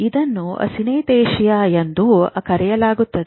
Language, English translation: Kannada, This is synesthesia